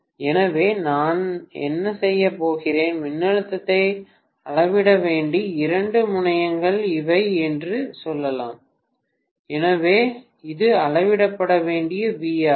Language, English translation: Tamil, So what I am going to do is, let us say these are the two terminals across which I have to measure the voltage, so this is the V to V measured